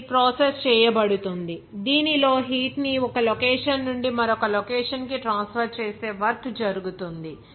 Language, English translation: Telugu, It is processed in which work is done to move heat from one location to another